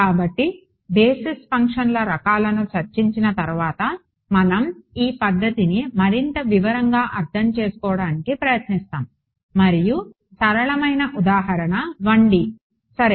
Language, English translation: Telugu, So, now having discussed the kinds of basis functions, we will look at we will try to understand this method in more detail and the simplest example is a 1D example ok